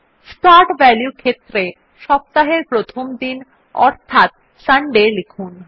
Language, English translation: Bengali, In the Start value field, we type our first day of the week, that is, Sunday